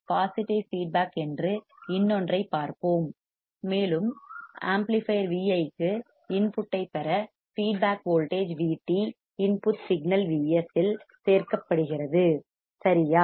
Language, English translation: Tamil, Let us see another one the feedback is positive, and the feedback voltage V t is added to the input signal V s to get the input to the amplifier Vi which is correct